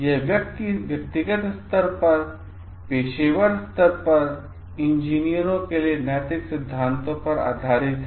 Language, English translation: Hindi, It is at the ethical principles for engineers at personal level, at professional level